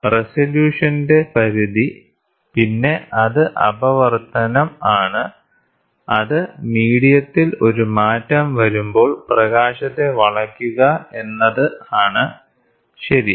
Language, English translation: Malayalam, Then limit of resolution, then it is refraction which is nothing but bending of light when there is a change in medium, ok